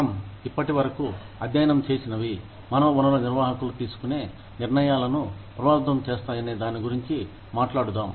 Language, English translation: Telugu, Let us talk about, how these, whatever, we have studied till now, will affect the decisions, made by human resources managers